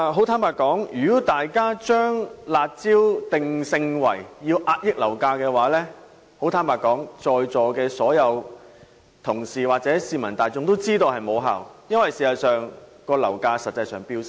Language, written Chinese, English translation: Cantonese, 坦白說，如果大家把"辣招"的作用定性為遏抑樓價，相信在座所有同事或市民大眾都知道是無效的，因為事實上樓價一直在飆升。, Honestly speaking if Members regard the curb measures as a tool to suppress property prices I trust that all colleagues or members of the public would know that the measures are ineffective as property prices have been skyrocketing